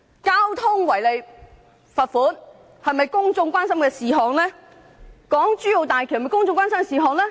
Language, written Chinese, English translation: Cantonese, 交通違例罰款是否公眾關心的事項，港珠澳大橋又是否公眾關心的事項？, Should fixed penalty for road traffic offences and the Hong Kong - Zhuhai - Macao Bridge be considered issues concerning public interests?